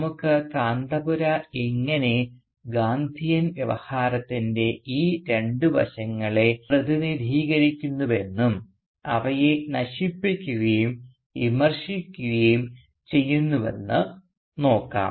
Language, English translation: Malayalam, And let us see how Kanthapura both represents these two aspects of the Gandhian Discourse and also undermines them, under curse them, criticises them